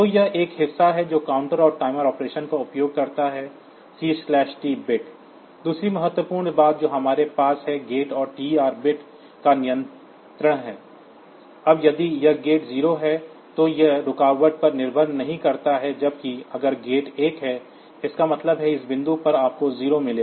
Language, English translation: Hindi, So, this is one part distinguishing that counter and timer operation using C/T bit, second important thing that we have is the control of the gate and the TR bits, now if this gate is 0, then it does not depend on the interrupt whereas, if the gate is 1; that means, at this point you get is 0